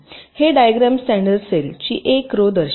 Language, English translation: Marathi, this diagram shows one row of this standard cell cells